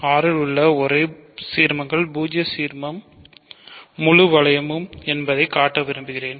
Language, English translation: Tamil, So, I want to show that the only ideals in R are the zero ideal and the full ring